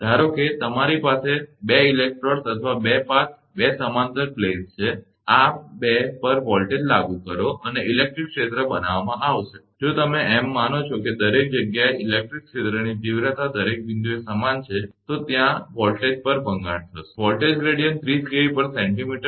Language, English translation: Gujarati, Suppose, you have a you have 2 electrodes or 2 path, 2 parallel planes, apply the voltage across this 2 and electric field will be created and, if you assume that everywhere that, is electric field intensity is uniform at every point, then there will be a breakdown at this voltage, at the potential gradient 30 kilovolt per centimeter right